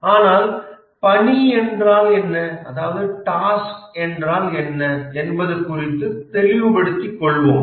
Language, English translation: Tamil, But then let us be clear about what is a task